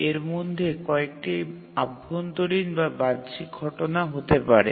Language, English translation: Bengali, Some of these events may be internal events or may be external events